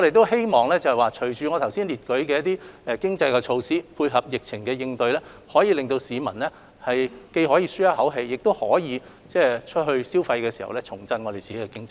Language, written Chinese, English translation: Cantonese, 希望隨着推行剛才列舉的一些經濟措施，配合疫情應對，既可令市民舒一口氣，亦可吸引他們外出消費，重振香港經濟。, It is hoped that with the implementation of some economic measures set out just now as well as the initiatives taken in response to the epidemic members of the public can heave a sigh of relief and will then be encouraged to make consumption thereby revitalizing the economy of Hong Kong